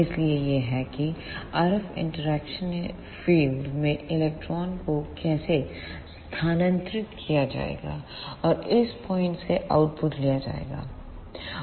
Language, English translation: Hindi, So, this is how electrons will move in the RF interaction region and output will be taken from this point